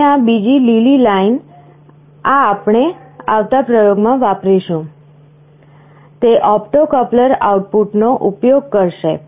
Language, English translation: Gujarati, And this other line green one, this we shall be using in the next experiment, this will be using the opto coupler output